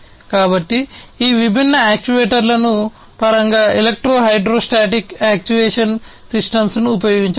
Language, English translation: Telugu, So, in terms of these actuators different actuators could be used electro hydrostatic actuation system